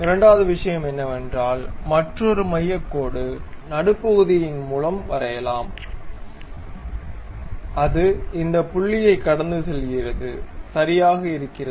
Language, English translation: Tamil, And second thing let us have another center line join the mid one and that is passing through this point, fine